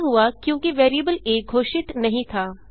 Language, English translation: Hindi, It occured, as the variable a was not declared